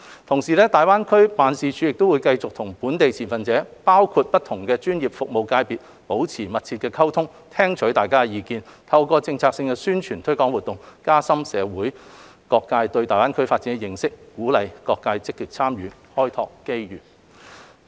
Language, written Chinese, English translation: Cantonese, 同時，大灣區辦公室會繼續與本地的持份者，包括不同專業服務界別保持密切溝通，聽取相關意見，透過策略性的宣傳推廣活動，加深社會各界對大灣區發展的認識，鼓勵各界積極參與，開拓機遇。, Meanwhile GBADO will keep on maintaining close communication with local stakeholders including different professional services sectors and listening to relevant views . Through strategic publicity and promotional activities GBADO will work to enhance the understanding of all quarters of society on the development of GBA while encouraging their active participation to explore opportunities for development